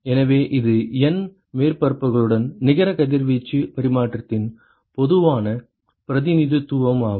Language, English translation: Tamil, So, this is a general representation of the net radiation exchange with N surfaces